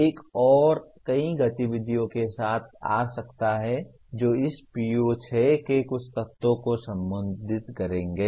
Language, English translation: Hindi, One can come with many more activities that will address some elements of this PO6